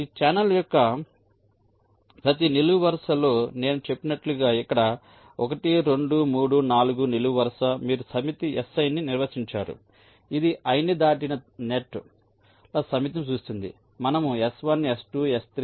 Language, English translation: Telugu, so so, as i said, along every column of this channel, like here column one, two, three, four, like this, you define a set, s i, which will denote the set of nets which cross column i